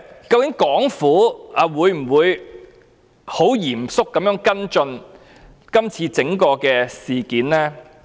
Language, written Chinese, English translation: Cantonese, 究竟香港政府會否嚴肅跟進今次沙中線的整個事件？, Will the Hong Kong Government seriously follow up the entire case of SCL?